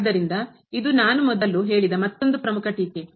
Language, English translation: Kannada, So, this is another important remark which I have mentioned before